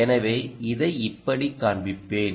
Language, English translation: Tamil, so let me shift this back